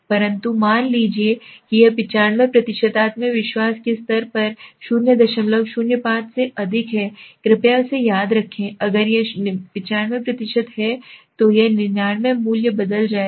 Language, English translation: Hindi, 05 at a 95% confident level please remembers this, if it is 95%, if it is 99 the value will change